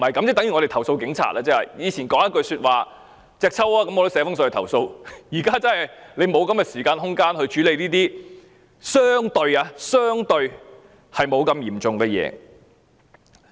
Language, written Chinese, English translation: Cantonese, 以前警察說一句："隻揪"，我都會寫信投訴，但現在我們已沒有時間和空間處理這些相對不太嚴重的事。, In the past when a police officer said one - on - one fight I would write a letter to complain but now we do not have the time or space to deal with these minor issues